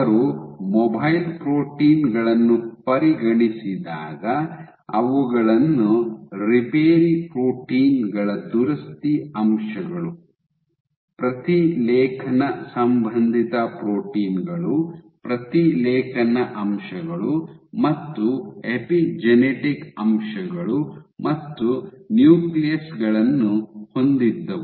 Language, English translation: Kannada, So, when they consider the mobile proteins, they had repair proteins repair factors, transcription associated proteins transcription factors, and epigenetic factors as well as nucleus